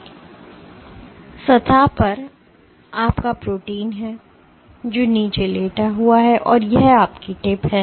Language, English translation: Hindi, So, on the surface, there is your protein which is lying down and this is your tip